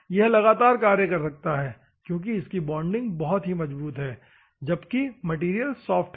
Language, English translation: Hindi, It can continuously work because the bonding is firm, where the material is soft